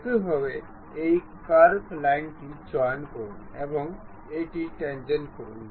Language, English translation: Bengali, Similarly, pick this curve line make it tangent